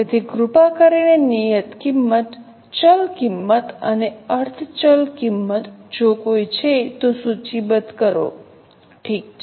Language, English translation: Gujarati, So, please list down the fixed cost, variable cost and semi variable costs, if any